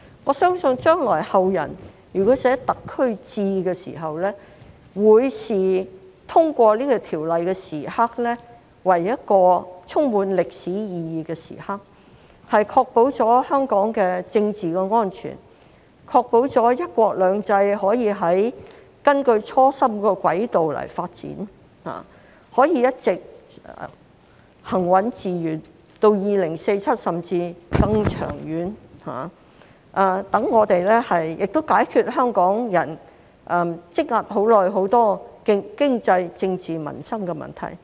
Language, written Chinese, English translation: Cantonese, 我相信如果後人將來撰寫"特區誌"的時候，會視通過《條例草案》的時刻為一個充滿歷史意義的時刻，確保了香港的政治安全，確保了"一國兩制"可以根據初心的軌道發展，可以一直行穩致遠，到2047年甚至更長遠，亦解決香港人積壓已久的多個經濟、政治、民生問題。, We all scrutinized each and every clause very seriously and put forward many views . I believe that if anyone compiles a chronicle of Hong Kong in the future he will regard the passage of the Bill as a moment of historical significance which has ensured the political security of Hong Kong and the long - term and steady development of one country two systems in accordance with the original aspiration until 2047 or even beyond . It will also solve the many economic political and livelihood problems that have been plaguing the people of Hong Kong for a long time